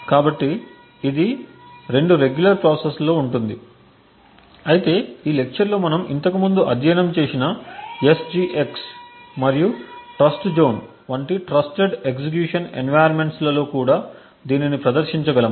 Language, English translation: Telugu, So, this was on 2 regular processes, but we could also demonstrate this and various other infrastructures for example even with the trusted execution environment such as the SGX and Trustzone that we have studied earlier in this lecture